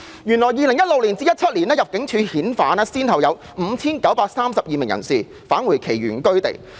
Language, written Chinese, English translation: Cantonese, 原來在 2016-2017 年度，入境事務處先後把 5,932 名人士遣返其原居地。, It turned out that in 2016 - 2017 the Immigration Department ImmD repatriated 5 932 persons to their place of origin